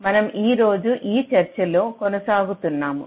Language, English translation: Telugu, so we continue with our discussion today